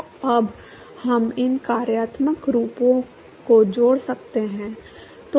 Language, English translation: Hindi, So now we can relate these functional forms